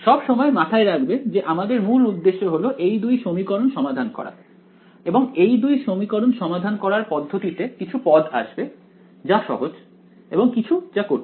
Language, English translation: Bengali, Always keep in mind that our basic motivation is to solve these two equations in the process of solving these two equations some terms are easy some terms are not easy